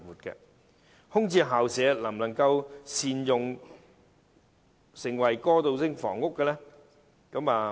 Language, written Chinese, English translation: Cantonese, 至於空置校舍能否加以善用，成為過渡性房屋呢？, As for vacant school premises can they be properly utilized to become transitional housing?